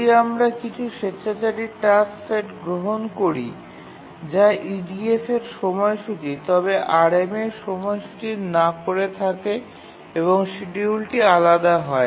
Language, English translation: Bengali, So can we take some arbitrary task set which is schedulable in EDF but not schedulable in RMA and then the schedule will be different